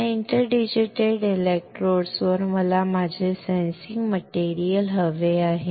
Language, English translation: Marathi, On these interdigitated electrodes I want to have my sensing material